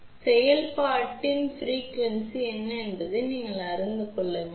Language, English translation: Tamil, So, you should know what is the frequency of operation